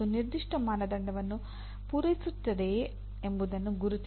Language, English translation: Kannada, That is whether it meets a particular standard